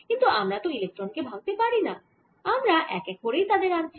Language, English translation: Bengali, however, we are not breaking up electrons, we are bringing in them one electron at a time